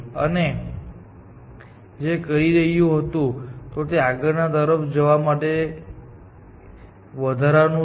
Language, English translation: Gujarati, What this is doing is it increments the bound to the next